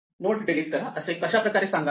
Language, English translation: Marathi, How do we specify to delete a node